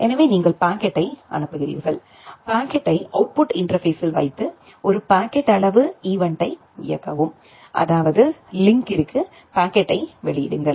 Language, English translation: Tamil, So, you forward the packet, put the packet in the output interface and execute a packet out event; that means, output the packet to the link